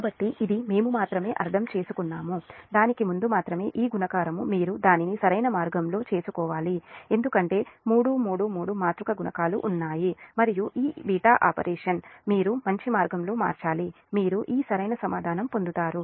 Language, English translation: Telugu, only thing is that, just on before, that only thing is that this multiplication you have to make it in correct way, because three, three, three matrix multiplications are there and this beta operation, beta operation you have to manipulate in better way such that you will get this correct answer